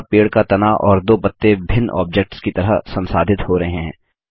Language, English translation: Hindi, Here the Tree trunk and the two Leaves are treated as separate objects